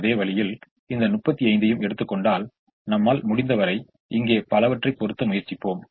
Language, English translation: Tamil, in the same manner, if we take this thirty five, we would try to put as much as we can here and so on